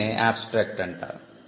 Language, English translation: Telugu, So, this is the abstract